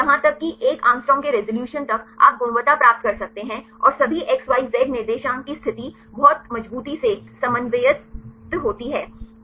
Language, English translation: Hindi, So, even up to 1 Å resolution you can get the quality and the position of all the X Y Z coordinates right very reliably